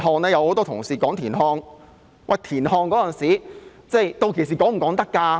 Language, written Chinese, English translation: Cantonese, 有很多同事提及田漢，屆時能否提及他呢？, Many Honourable colleagues referred to TIAN Han . Will he be mentioned?